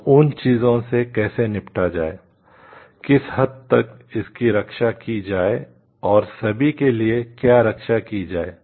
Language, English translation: Hindi, So, how to deal with those things, to what extent to protect it and like what all to protect for